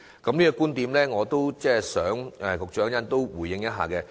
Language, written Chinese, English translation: Cantonese, 對於這個觀點，我想局長稍後也可以回應一下。, I hope the Secretary can later respond to this point as well